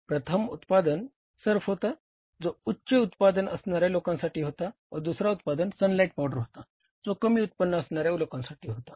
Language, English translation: Marathi, One was the surf which was for the premium segment of the people and the second was the sunlight powder which was for the low segment of the people